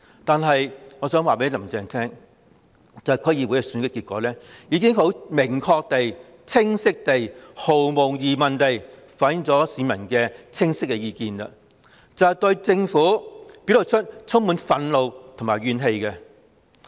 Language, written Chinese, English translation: Cantonese, 但我想告訴"林鄭"，區議會選舉的結果已明確地、清晰地及毫無疑問地反映出市民的意見，他們對政府充滿憤怒和怨氣。, But I wish to tell Carrie LAM the result of the District Council Election has clearly explicitly and undoubtedly reflected the peoples opinion which is that they are full of grievances and resentment against the Government